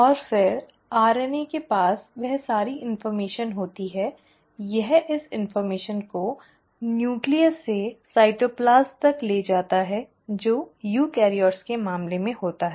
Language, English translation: Hindi, And then the RNA has all the information it carries this information from the nucleus to the cytoplasm which happens in case of eukaryotes